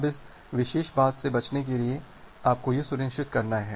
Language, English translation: Hindi, Now, to avoid this particular thing, what you have to ensure